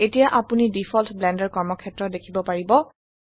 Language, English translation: Assamese, Now you can see the default Blender workspace